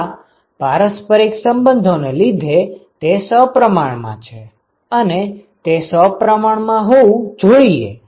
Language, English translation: Gujarati, Yes it is because of the reciprocity relationship it is symmetric and it has to be symmetric